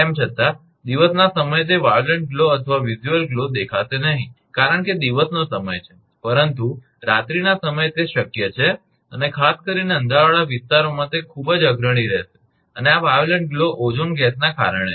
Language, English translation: Gujarati, Although, daytime that violet glow or visual glow may not be visible because daytime, but night time, it is possible and particularly in the dark areas those will be very prominent and this violet glow due to the ozone gas